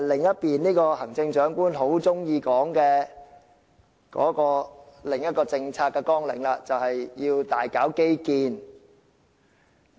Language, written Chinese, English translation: Cantonese, 這便是行政長官很喜歡說的另一項政策綱領，即要大搞基建。, This has to do with another policy agenda that the Chief Executive likes to talk about a lot that is to carry out extensive infrastructure projects